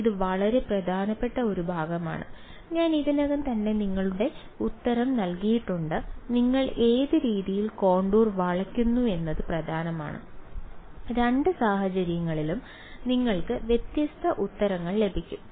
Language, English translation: Malayalam, So, this is this is a very very important part I have sort of given the answer of you already it matters which way you bend the contour you get different answers in both cases ok